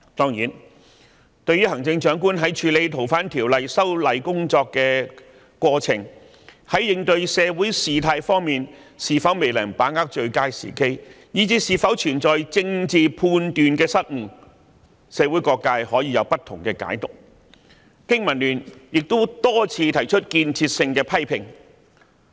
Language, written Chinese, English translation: Cantonese, 誠然，對於行政長官在處理修訂《逃犯條例》的過程中，在應對社會事態方面，是否未能把握最佳時機，以至是否存在政治判斷上的失誤，社會各界可以有不同解讀，經民聯亦曾多番提出建設性的批評。, It is true that various sectors of society may have different interpretations about whether the Chief Executive in the course of dealing with the FOO amendment and responding to the social situation may have failed to act with good timing or even whether she has made mistakes in her political judgments . BPA has also made constructive criticisms on many occasions